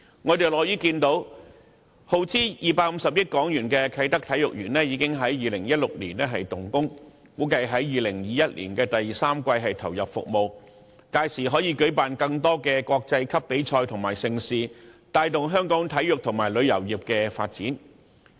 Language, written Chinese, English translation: Cantonese, 我們樂見耗資250億港元的啟德體育園在2016年動工，估計在2021年的第三季投入服務，屆時可舉辦更多國際級比賽及盛事，帶動香港體育和旅遊業的發展。, We are pleased to see that Kai Tak Sports Park which costs HK25 billion commenced works in 2016 and is expected to be put into service in the third quarter of 2021 . By then we will be able to hold more international competitions and mega events thereby fostering the development of sports and tourism in Hong Kong